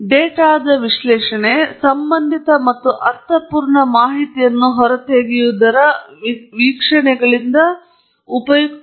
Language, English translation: Kannada, Analysis of data is about extracting useful, relevant, and meaningful information from observations